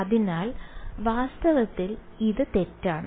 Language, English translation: Malayalam, So, in fact, this is wrong